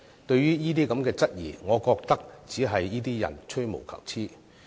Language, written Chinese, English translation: Cantonese, 對於這些質疑，我覺得只是這些人吹毛求疵。, I think people who raised this question are only nitpicking